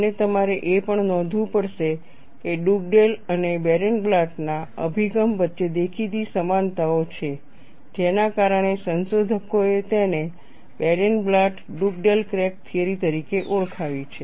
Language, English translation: Gujarati, And you will also have to note, that there are obvious similarities between the approach of Dugdale and Barenblatt, which has led researchers to refer it as Barenblatt Dugdale crack theory